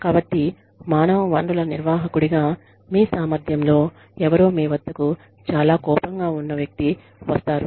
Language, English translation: Telugu, So, let us assume, that in your capacity as human resources manager, somebody comes to you, Somebody, who is very angry